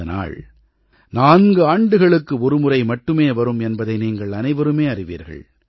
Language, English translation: Tamil, All of you know that this day comes just once in four years